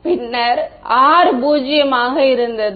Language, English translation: Tamil, So, then R was zero